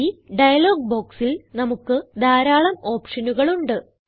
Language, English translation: Malayalam, In this dialog box, we have several options